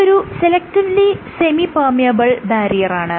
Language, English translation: Malayalam, So, it acts as a selectively permeable barrier